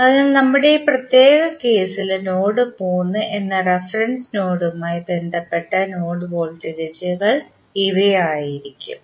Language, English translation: Malayalam, So, these would be the nodes, node voltages with respect to the reference node that is node 3 in our particular case